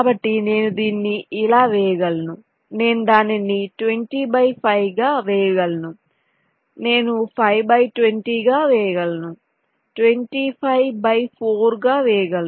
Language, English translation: Telugu, so i can lay it out like this: i can lay it out twenty by five, i can lay it out five by twenty